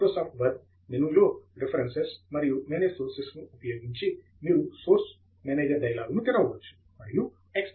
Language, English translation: Telugu, Using the menu on Microsoft Word, References and Manage Sources you can open the Source Manager dialogue and use the Browse button to select the XML file